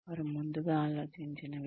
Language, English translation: Telugu, They are thought of earlier